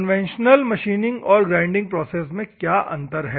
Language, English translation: Hindi, Conventional machining versus grinding, what is a difference